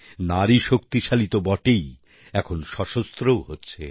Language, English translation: Bengali, Women are already empowered and now getting armed too